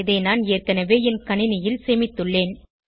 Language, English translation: Tamil, I have already saved it on my machine